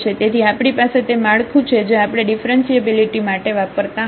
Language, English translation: Gujarati, So, we have that format which we have used for the differentiability